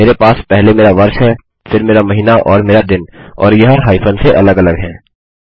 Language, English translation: Hindi, So, in my database, at the moment, I have my year first, then my month and my day and these are separated by hyphens